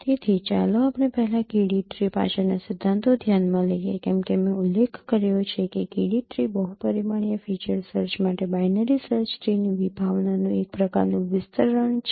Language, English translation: Gujarati, So let us consider first the principles behind the KD tree as I mentioned, KD tree is a kind of extension of concept of binary search tree for multidimensional feature search